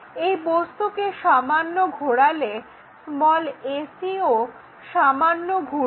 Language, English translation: Bengali, Slightly rotate these objects further this ac have slight rotation